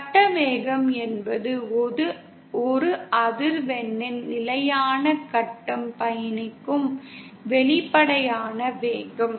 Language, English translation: Tamil, Whereas phase velocity is the apparent velocity with which the constant phase of a single frequency travels